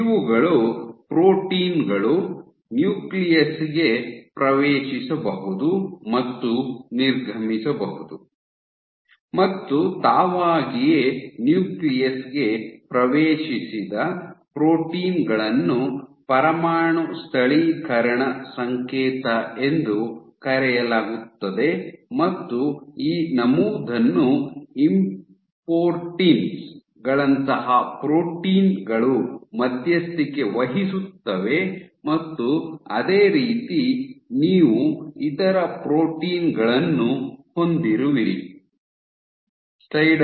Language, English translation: Kannada, So, these are the holes through which proteins can enter and exit the nucleus and typically proteins, which entered the nucleus by themselves, have what is called as a nuclear localization signal and this entry is mediated by proteins like importins and similarly you have other proteins which mediate the exit ok So, it is now emerging that there are 100 to 1000s of nuclear envelope proteins, trans membrane proteins ok